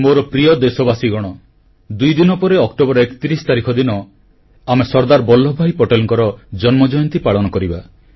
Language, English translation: Odia, My dear countrymen, we shall celebrate the birth anniversary of Sardar Vallabhbhai Patel ji, two days from now, on the 31st of October